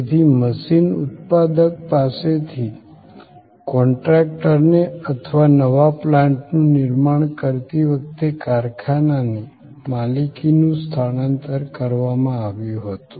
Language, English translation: Gujarati, So, there was a transfer of ownership from the machine manufacturer to the contractor or to the factory system constructing the new plant